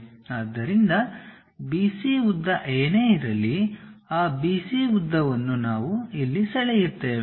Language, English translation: Kannada, So, whatever the B C length is there the same B C length we will draw it